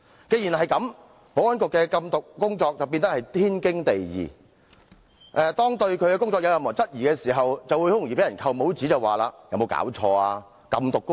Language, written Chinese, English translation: Cantonese, 保安局的禁毒工作亦因此變得天經地義，如果有人質疑該局的工作，便會被人扣帽子，甚至提出"有沒有搞錯？, Anti - drug work has thus become an unquestionable duty of the Security Bureau . Anyone questioning the work of the Bureau will be pinned a negative label and even asked questions like what is your problem?